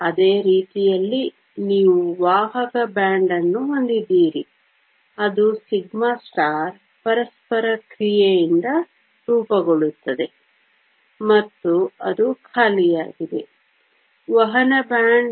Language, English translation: Kannada, Same way, you have a conduction band that is formed by interaction of the sigma star and that is empty conduction band